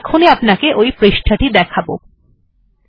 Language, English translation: Bengali, Ill show that page shortly